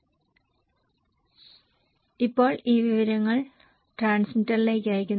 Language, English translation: Malayalam, Okay, now they send this information to the transmitter